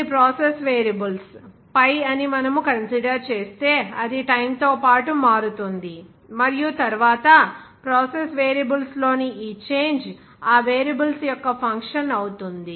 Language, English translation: Telugu, If we consider that some process variables pi, it changes with respect to time and then, we can say that this change of this a process Variables will be a function of those variables, like this year